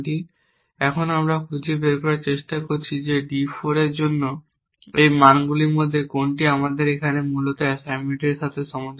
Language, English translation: Bengali, And now we are trying to find if any of these values for d 4 is consistent with this assignment we have here essentially